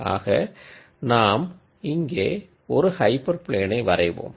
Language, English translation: Tamil, Now however you try to draw a hyper plane